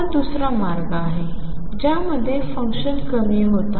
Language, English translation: Marathi, This is the other way function is going to low